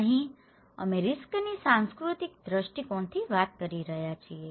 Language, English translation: Gujarati, Here, we are talking from the cultural perspective of risk